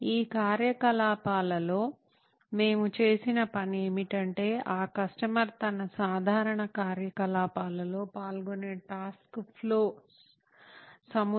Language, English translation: Telugu, In these activities what we‘ve done is we have gone through a set of task flows which might which that customer might be going through in his routine activity